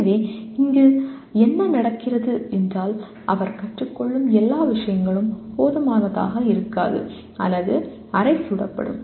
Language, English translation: Tamil, So what happens is all the things that he is learning will either be inadequate or will be half baked